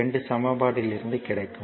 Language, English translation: Tamil, So, equation 1